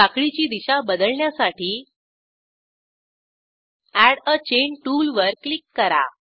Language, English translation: Marathi, To change the orientation of the chain, click on Add a Chain tool